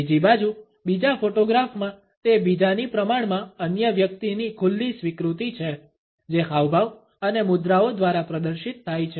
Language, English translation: Gujarati, On the other hand, in the second photograph it is relatively an open acceptance of the other which is displayed through the gestures and postures